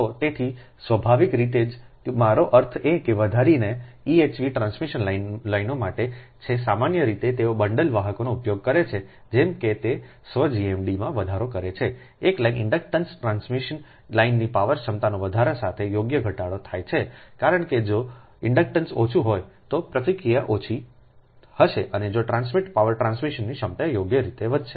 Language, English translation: Gujarati, i mean for extra eh v transmission lines generally they use bundled conductors such that it increase the self gmd a lines inductance is reduced right with increase the power capability of the transmission line, because if inductance are less then reactance will be less and the transmit power transmission capability will increase, right